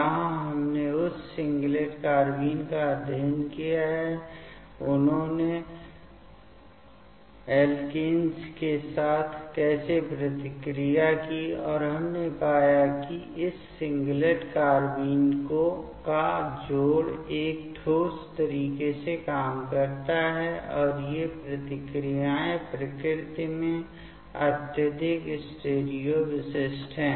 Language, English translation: Hindi, There we have studied that singlet carbene, how they have reacted with the alkenes, and we found that the addition of this singlet carbenes work in a concerted manner, and they are reactions are highly stereo specific in nature